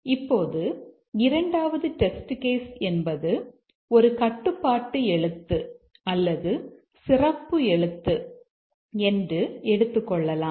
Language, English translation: Tamil, Now let's say that the second test case is a special character like a control character or something